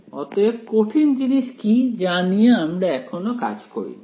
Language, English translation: Bengali, So, what is the difficult part we are not yet handled